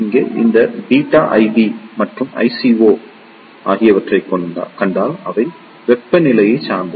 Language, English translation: Tamil, Here, if you see this beta I B and I CO, they are temperature dependent